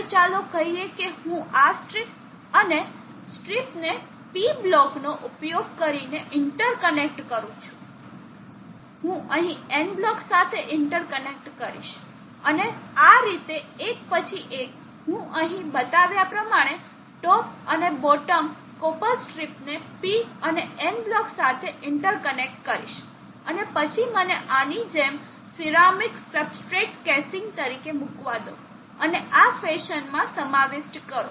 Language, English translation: Gujarati, Now let them be copper strips now these two copper strips sets of copper strips will be inter connected with blocks of semi conductor material, now let us say I inter connect this strip and the strip using a P block I will interconnect here with and N block and like that alternatively I will interconnect the top and the bottom copper strip with EN, N block as shown here and then let me put as ceramic substrate casing like this and encapsulated in this fashion